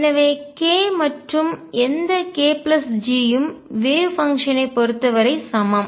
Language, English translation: Tamil, So, k and any k plus G are equivalent as far as the wave function is concerned